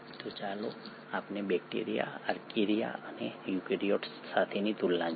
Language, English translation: Gujarati, So let us look at the comparison against bacteria, Archaea and eukaryotes